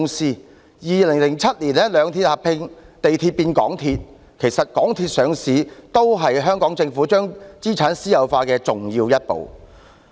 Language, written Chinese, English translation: Cantonese, 在2007年，兩鐵合併，地鐵變港鐵，其實港鐵公司上市也是香港政府將資產私有化的重要一步。, In 2007 two railway corporations merged to become MTRCL . In fact the listing of MTRCL was also an important step taken by the Hong Kong Government in the privatization of its assets